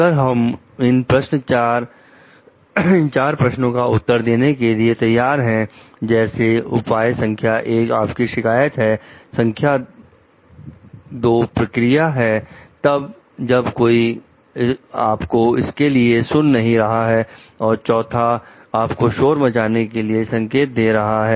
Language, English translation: Hindi, So, if these four questions we are ready to answer like solution 1 is you complain, the 2nd is the procedure, then nobody is listening to it, and 4th is hinting towards the whistle blowing